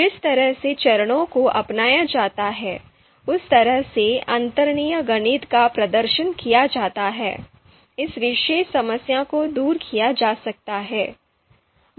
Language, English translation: Hindi, Because of the way the steps are adopted, the way underlying mathematics is performed, this particular problem can be overcome